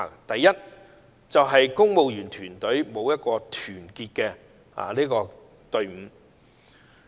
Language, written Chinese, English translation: Cantonese, 第一，公務員團隊欠缺團隊精神。, First the civil service has not worked as a team